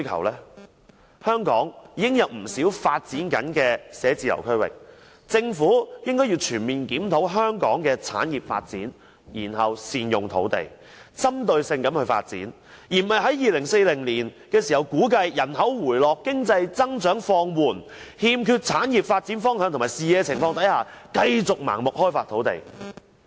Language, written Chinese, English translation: Cantonese, 香港已有不少發展中的辦公室區域，政府應該全面檢討香港的產業發展，然後善用土地，針對性發展，而不是估計2040年時人口回落、經濟增長放緩，欠缺產業發展方向和視野情況下，繼續盲目開發土地。, Hong Kong already has many developing office areas . The Government should conduct a comprehensive review of Hong Kongs industry development and then make good use of the land for targeted development instead of continuing to develop land blindly given that population decline and economic growth slowdown is projected in 2040 and there is no direction and vision for industry development